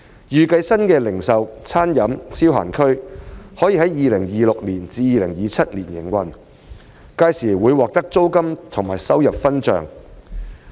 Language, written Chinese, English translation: Cantonese, 預計新的零售/餐飲/消閒區可在 2026-2027 年度投入營運，屆時會獲得租金和收入分帳。, It is expected that the new RDE zone will commence operation in 2026 - 2027 and OPC will start receiving the rent and revenue share derived by then